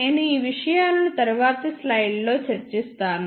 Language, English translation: Telugu, I will discuss these things later in the slides